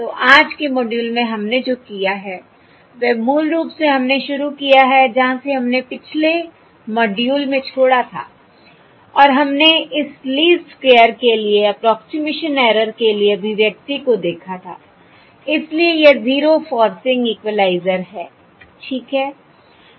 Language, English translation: Hindi, So what we have done in todays module is basically we have started out with the uh from where we left off in the previous module and we looked at the expression for the approximation error for this least square, so this zero forcing equalizer